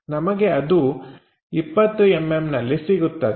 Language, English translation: Kannada, So, this will be 20 mm ok